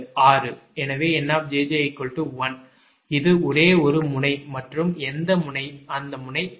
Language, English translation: Tamil, so nj j is equal to one, this is only one node